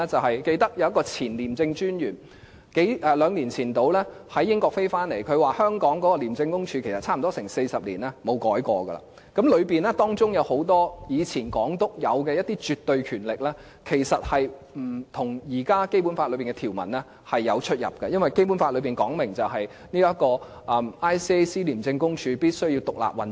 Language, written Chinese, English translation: Cantonese, 我記得有一名前廉政專員大約兩年前從英國回來，他說廉署差不多40年來不曾改變，當中有很多前港督擁有的一些絕對權力，其實跟現時《基本法》的條文有出入，因為《基本法》訂明，廉署必須獨立運作。, I remember a former ICAC Commissioner who came back to Hong Kong from the United Kingdom about two years ago said that the ICAC had not changed in some 40 years and that some absolute power used to be owned by many former Governors of Hong Kong did not conform to the current provisions of the Basic Law because the Basic Law stipulates that the ICAC must operate independently